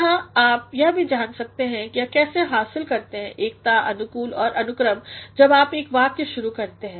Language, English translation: Hindi, Here you can also find how to achieve unity coherence and order when you start a sentence